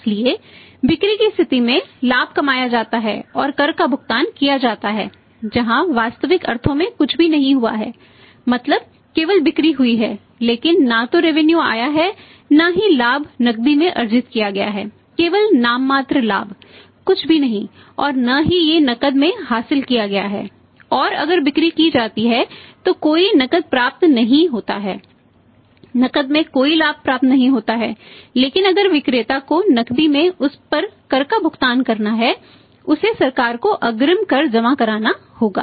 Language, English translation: Hindi, So, on the point of sales, sales are made, profit is an tax is paid where as in the in the real sense nothing has happened means only sales have taken place but neither the revenue has come not the profit has been earned in cash only say nominal profit nothing not it has been out in cash and if sales are made no cash received, no profit is received in cash but if the seller is supposed to pay the tax on that in cash he has to deposit the advance tax to the government